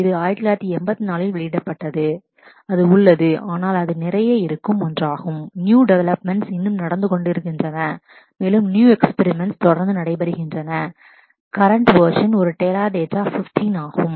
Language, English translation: Tamil, It was released in 1984 and it is, but it is it is one where lot of new developments are still happening and new experiments keep on happening and the current version is a Teradata 15